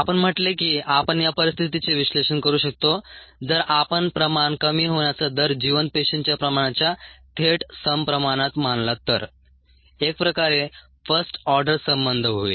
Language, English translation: Marathi, we said that we could analyze ah this situation if we considered the rate of decrease in concentration to be directly proportional to the concentration of viable cells, a sort of a first order relationship